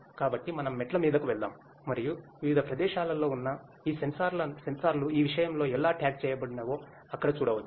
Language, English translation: Telugu, So, let us go downstairs and there we can see that how these sensors located at different places are tagged in this thing